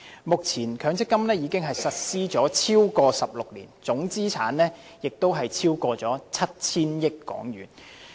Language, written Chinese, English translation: Cantonese, 目前強積金已實施超過16年，總資產值已超過 7,000 億港元。, The MPF System has been implemented for over 16 years . The total asset value is over HK 700 billion